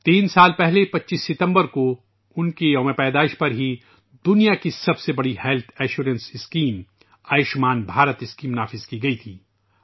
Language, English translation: Urdu, Three years ago, on his birth anniversary, the 25th of September, the world's largest health assurance scheme Ayushman Bharat scheme was implemented